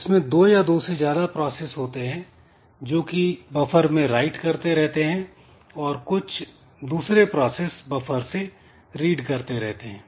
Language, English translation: Hindi, So, here we have got two or more processes some of the processes they are writing onto the buffer and some other processes they are trying to read from the buffer